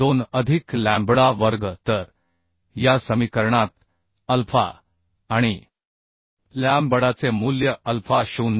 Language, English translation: Marathi, 2 plus lambda square So putting the value of alpha and lambda in this equation alpha is 0